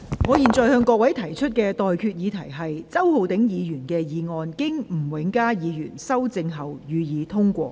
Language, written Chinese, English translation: Cantonese, 我現在向各位提出的待決議題是：周浩鼎議員動議的議案，經吳永嘉議員修正後，予以通過。, I now put the question to you and that is That the motion moved by Mr Holden CHOW as amended by Mr Jimmy NG be passed